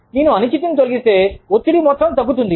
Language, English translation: Telugu, If i remove the uncertainty, the amount of stress, goes down